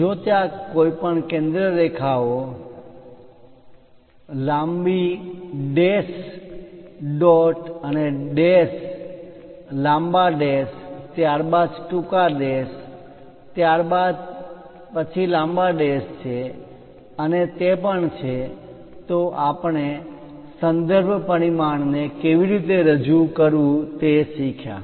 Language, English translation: Gujarati, If there are any center lines with, long dash, dot and dash, a long dash, followed by short dash, followed by long dash and also, we learned about how to represents reference dimension